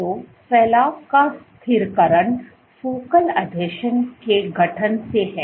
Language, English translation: Hindi, So, stabilization of protrusion by formation of focal adhesions